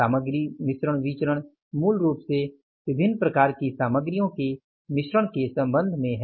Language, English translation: Hindi, Material mixed variance is basically the variance with regard to the mix of the different types of materials